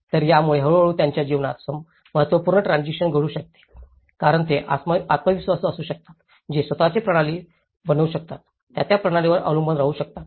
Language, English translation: Marathi, So, this can gradually lead to an important transition in their lives because they can be self reliable, they can make their own system, they can rely on that system they can